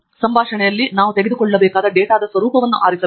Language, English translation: Kannada, in the dialog we must choose the format of the data that we want to take